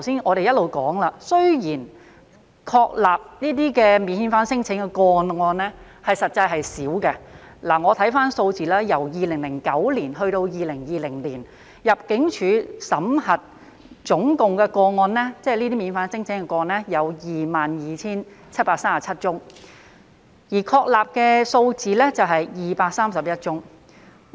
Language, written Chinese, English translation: Cantonese, 我們一直說，雖然確立這些免遣返聲請的個案實際上很少，我看回有關數字，由2009年至2020年，香港入境事務處審核免遣返聲請的總個案為 22,737 宗，而確立的數字為231宗。, We have been emphasizing all along that the number of non - refoulement claims being substantiated was actually small . If we take a look at the figures from 2009 to 2020 of a total of 22 737 non - refoulement claims which were examined by the Immigration Department ImmD only 231 were substantiated